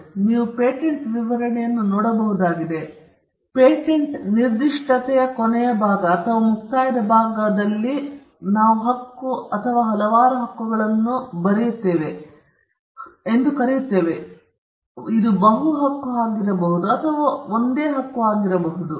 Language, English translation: Kannada, So, you could look at a patent specification and the last portion or the concluding portion of a patents specification is what we call a claim or many claims; it could be a multiple claims or it could be a single claim